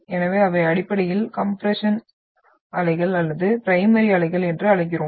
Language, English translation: Tamil, So they are basically the compressional waves or we term that as primary waves